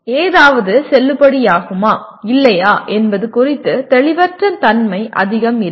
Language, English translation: Tamil, There is not much of ambiguity about whether something is valid or not and so on